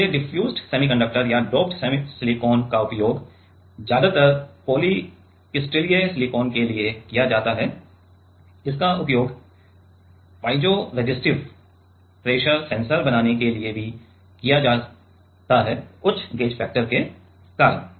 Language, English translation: Hindi, So, diffused semiconductor this is mostly used or doped silicon is mostly used for even poly crystalline silicon is also used for making piezoresistive pressure sensors because the high gauge factors